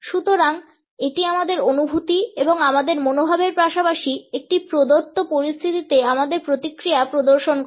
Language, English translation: Bengali, So, it showcases our feelings and our attitudes as well as our response in a given situation